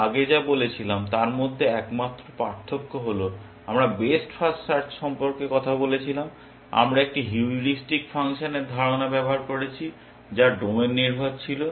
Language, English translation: Bengali, The only difference between what we said earlier when we talked about best first search, we used a notion of a heuristic function which was domain dependent